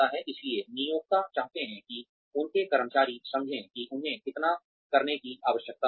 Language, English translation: Hindi, So, employers want their employees to understand, how much they need to do